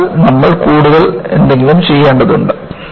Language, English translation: Malayalam, So, you need to do something more